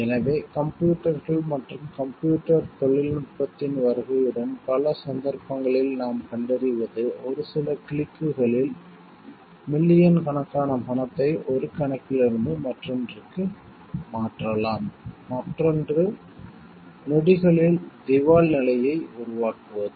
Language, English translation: Tamil, So, what we find like in many cases with the advent of computers and computer technology with just few clicks millions of money can be transferred from one account to the other creating bankruptcy in seconds for the other